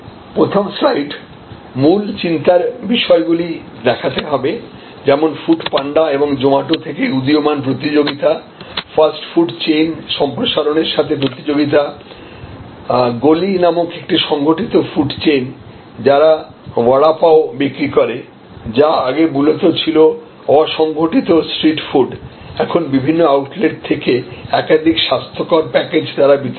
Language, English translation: Bengali, In the first slide, you tabulate you chronicle the key concerns, like these emerging competitions from Food Panda and Zomato, the competition from expanding fast food chains, expanding organized food chains like a chain called goli, which survives vada pav, which was mainly an unorganized street food now delivered in multiple hygienic packages from various outlets